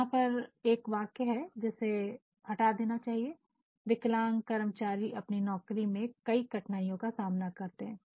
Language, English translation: Hindi, Here is a sentence which ought to be removed which ought not to be used crippled workers face many hardships on the job